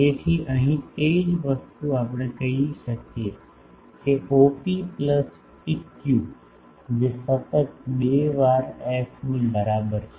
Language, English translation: Gujarati, So, here the same thing we can say that OP plus PQ that is equal to twice f a constant